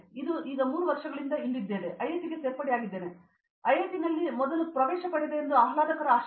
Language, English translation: Kannada, It’s been it’s been 3 years from now I have joined IIT and the pleasant surprise is that I got admission in IIT first